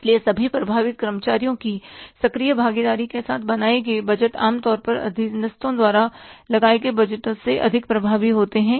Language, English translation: Hindi, So, budgets created with the active participation of all affected employees are generally more effective than the budgets imposed on subordinates